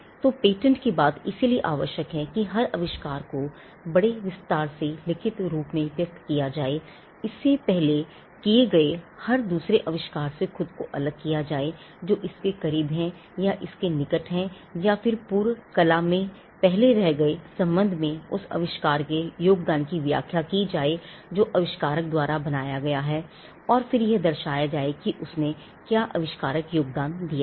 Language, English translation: Hindi, When it comes to patent that is why we have a requirement of every invention to be expressed in writing disclosed in great detail, differentiating itself with every other invention that went before it, which is close to it or proximate to it and then explaining the contribution made by the invention inventor, with regard to what has gone before is generally left referred to by a term called the prior art and then demonstrating what is the inventive contribution that he made